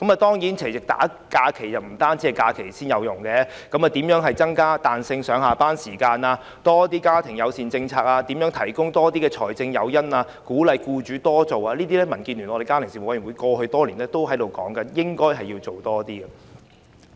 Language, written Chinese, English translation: Cantonese, 當然，不單提供多些假期，對於如何增加彈性上下班時間、如何鼓勵僱主提供多些家庭友善政策、如何提供多些財政誘因等，這些也是民建聯家庭事務委員會過去多年來建議多做的事情。, Indeed apart from providing more holidays the Family Affairs Committee of DAB have also asked the Government to consider how to make working hours more flexible how to encourage employers to put in place more family - friendly policies and how to provide more financial incentives